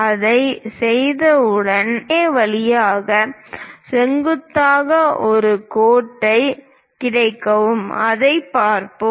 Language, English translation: Tamil, Once we do that, we will get a perpendicular line passing through point K; let us look at that